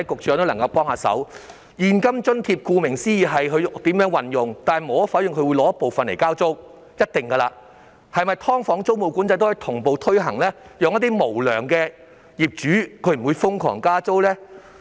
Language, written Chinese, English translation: Cantonese, 說到現金津貼，顧名思義，受惠者可決定如何運用，但無可否認，他們一定會拿出部分來交租，那麼"劏房"租務管制是否也可以同步推行，令一些無良業主不會瘋狂加租呢？, When it comes to cash allowance as the name suggests the recipient can decide how to use it . Undeniably he will use part of it to pay rents . In that case can tenancy control for subdivided units be implemented in tandem to prevent crazy rent increase by unscrupulous landlords?